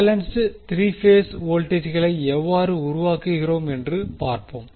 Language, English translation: Tamil, So, let us see how we generate balance 3 phase voltages